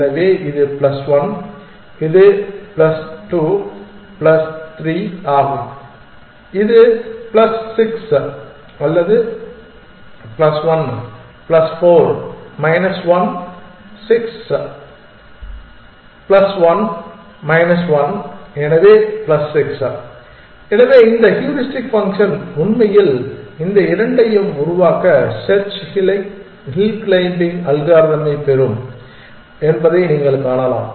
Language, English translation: Tamil, So, this is plus 1 plus 2 plus 3 that is plus 6 plus 1 plus 4 minus 1 6 plus 1 minus 1, so plus 6, so you can see that this heuristic function will actually derive the search hill climbing algorithm to make these two moves, first it will pick up d and put it